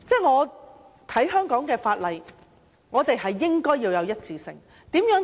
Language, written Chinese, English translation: Cantonese, 我認為香港法例應該具備一致性。, In my opinion the laws of Hong Kong should be consistent